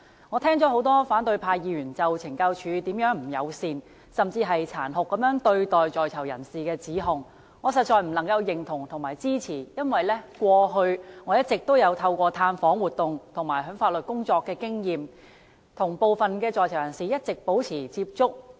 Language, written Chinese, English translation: Cantonese, 我聽了多位反對派議員就懲教署如何不友善，甚至殘酷對待在囚人士的指控，我實在不能認同及支持，因為過去我一直透過探訪活動和法律工作，與部分在囚人士保持接觸。, Many opposition Members have accused the Correctional Services Department CSD of being unfriendly and even cruel to inmates I cannot agree to and accept such allegations . I have through visits and legal work in the past kept in contact with some inmates